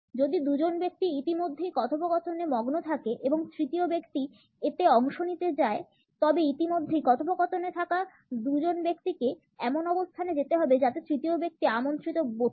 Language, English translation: Bengali, If two people are already engross in the dialogue and the third person wants to participate in it, the two people who are already in the dialogue have to move in such a position that the third person feels invited